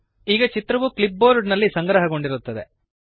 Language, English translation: Kannada, The image is now saved on the clipboard